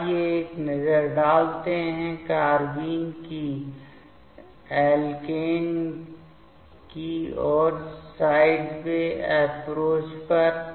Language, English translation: Hindi, So, let us have a look the sideway approach of carbene towards alkene